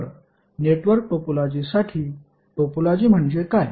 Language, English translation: Marathi, So for network topology what is the topology